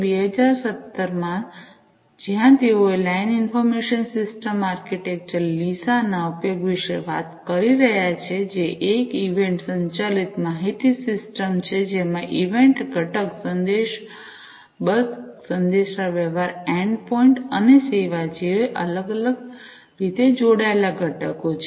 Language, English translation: Gujarati, in 2017, where they are talking about the use of Line Information System Architecture LISA, which is an event driven information system, which has different loosely coupled components, such as the event component, the message bus, the communication endpoint, and the service endpoint